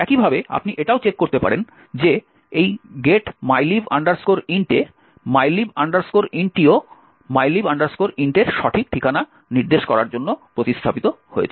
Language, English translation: Bengali, Similarly, you could also check that the mylib int in this get mylib int is also replaced to point to the correct address of mylib int